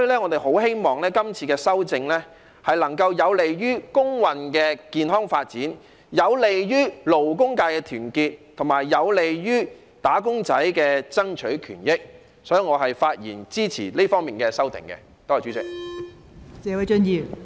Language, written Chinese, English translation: Cantonese, 我很希望今次修訂能夠有利於工運的健康發展，有利於勞工界的團結，並且有利"打工仔"爭取權益，故此我發言支持這方面的修訂，多謝代理主席。, I very much hope that this amendment exercise will be conducive to the healthy development of labour movements the unity of the labour sector and the fight for the rights and interests of wage earners . For this reason I speak in support of the amendments in this regard . Thank you Deputy Chairman